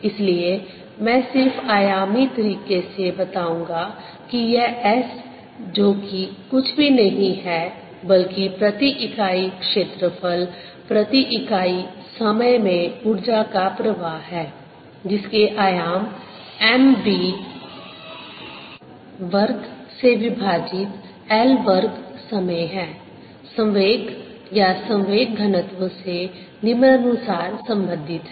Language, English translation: Hindi, so i will just state in dimensional way that this s, which is nothing but energy flow per unit area, per unit time, which has the dimensions of m, v, square over l, square times time, is related to the content of momentum or momentum density as follows: momentum density, which is going to be m v over l cubed